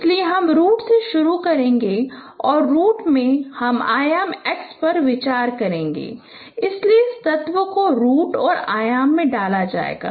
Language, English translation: Hindi, So I will start from the root and in the root I will be considering the dimension X